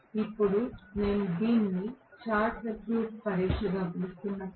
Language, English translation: Telugu, Now, I am calling this as short circuit test